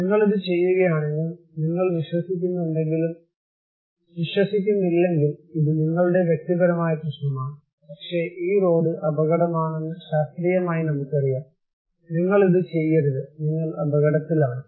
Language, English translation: Malayalam, And if you do it, if you do not believe it, this is your personal problem but, scientifically we know that this road is danger, you should not do this so, you are at risk